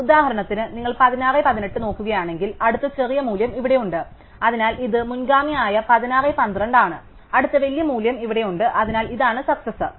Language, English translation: Malayalam, So, if you look at 16:18 for example, then the next smaller value is here, so this is the predecessor 16:12 and the next bigger value is here, so this is the successor